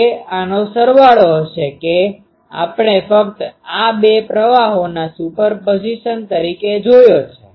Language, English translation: Gujarati, It will be sum of this that we just seen as a superposition of these two currents